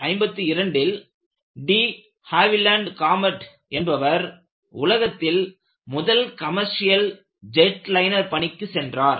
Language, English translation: Tamil, De Havilland Comet,the world's first commercial jetliner went into service in 1952